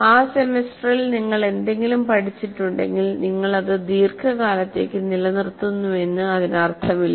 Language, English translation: Malayalam, If you have learned something during that semester, it doesn't mean that you are retaining it for a long term